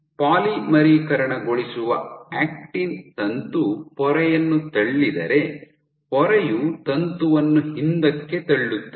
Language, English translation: Kannada, So, if the actin filament the polymerizing acting filament pushes the membrane, the membrane will push the filament back